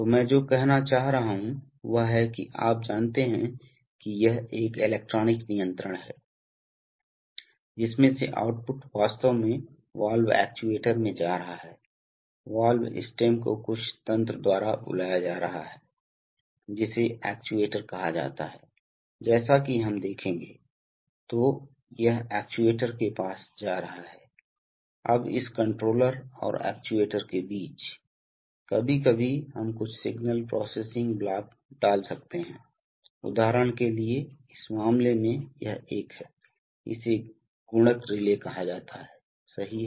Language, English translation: Hindi, So what I am trying to say is that, from the, you know there is, there is an electronic controller from which output is actually going to the valve actuator, the valve stem is being moved by some mechanism called actuator, as we shall see, so this is going to the actuator, now between this controller and the actuator, sometimes we can put some signal processing blocks which are, for example in this case this is a, this is called a multiplier relay, right